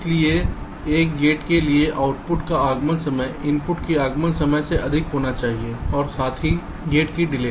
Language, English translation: Hindi, so so for a gate, the arrival time of the output should be greater than equal to arrival time of the input plus the delay of the gate